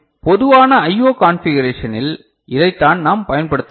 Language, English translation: Tamil, So, this is what we can use in the common I O configuration is it fine, right